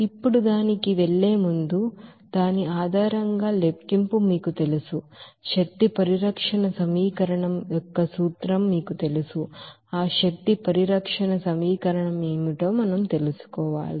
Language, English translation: Telugu, Now, before going to that, you know calculation based on that, you know principle of energy conservation equation we should know that what is that energy conservation equation